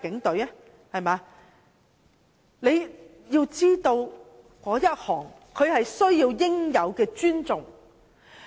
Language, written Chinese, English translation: Cantonese, 大家知道他們是需要應有的尊重的。, We all know that the Police deserve due respect